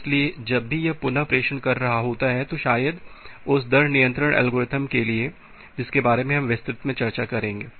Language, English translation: Hindi, So, whenever it is doing the retransmission, may be because of that rate control algorithm which we will discuss in details